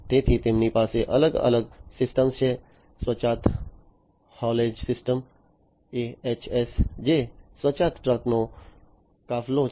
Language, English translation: Gujarati, So, they have different systems the autonomous haulage system AHS, which is a fleet of autonomous trucks